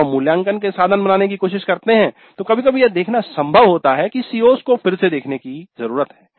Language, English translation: Hindi, When we try to create the assessment instruments, sometimes it is possible to see that the CO needs to be revisited